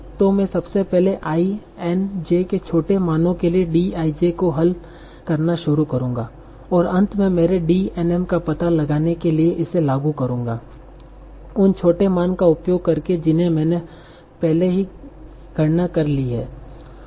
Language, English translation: Hindi, So I will first start by solving D iJ for small values of I and J and I will incrementally use that to find out finally my DNM by using the smaller values that I have already computed